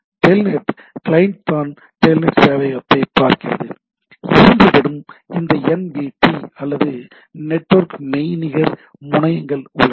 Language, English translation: Tamil, If I look at, it is the telnet client which is looking at the telnet server in turn they have both have this NVT or the network virtual terminals